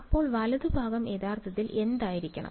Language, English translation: Malayalam, So, what should the right hand side actually be